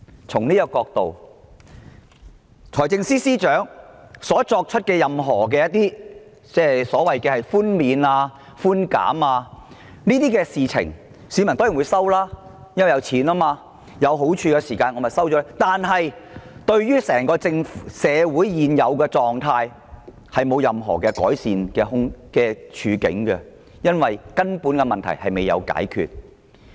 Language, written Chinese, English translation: Cantonese, 從這個角度而言，財政司司長提出的所有寬免和寬減措施，市民當然會接受，因為這涉及金錢和種種好處，但這對於社會現時的狀況並不會帶來任何改善，因為根本的問題未有獲得解決。, From this perspective all concession and relief measures announced by the Financial Secretary will of course be acceptable to the public when money and all sorts of advantages are involved but these cannot bring any improvement to the present social situation because the fundamental problem has not yet been resolved